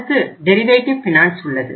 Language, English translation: Tamil, Then we have derivative finance